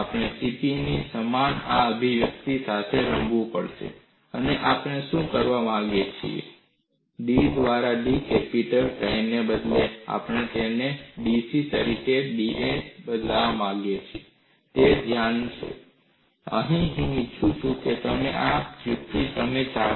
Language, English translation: Gujarati, We will have to play with this expression v equal to C P, and what we want to do is, instead of d capital pi by da, we would like to replace it in terms of dC by da; that is the focus, and I would like you to do this derivation yourself